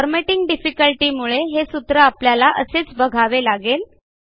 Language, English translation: Marathi, Due to a formatting difficulty this formula can be explained only in this way